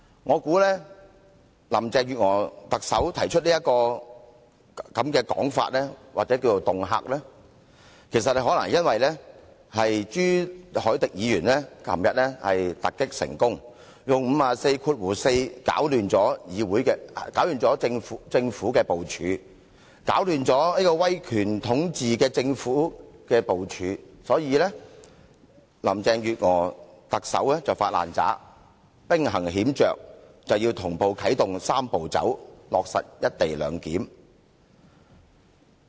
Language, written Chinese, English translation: Cantonese, 我想特首林鄭月娥提出這種說法或恫嚇，可能因為朱凱廸議員昨天突擊成功，用《議事規則》第544條擾亂了政府的部署，擾亂了威權統治的政府的部署，所以特首林鄭月娥"發爛渣"，兵行險着，同步啟動"三步走"程序，落實"一地兩檢"。, I suppose the Chief Executives remark or threat was probably prompted by Mr CHU Hoi - dicks invocation of Rule 544 of the Rules of Procedure yesterday a surprise attack that upset the planning of the Government the autocratic administration . She was hence outraged and decided to take a risky move activating the Three - step Process in parallel so as to make sure that the co - location arrangement could be implemented in good time